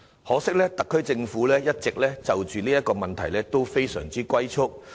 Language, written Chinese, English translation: Cantonese, 可惜，特區政府在這問題上一直"龜速"前行。, Regrettably the SAR Government has been advancing at tortoise speed in this respect